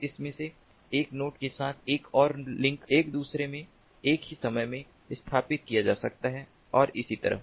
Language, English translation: Hindi, then with one of these nodes another link might be set up in another in a instant of time, and so on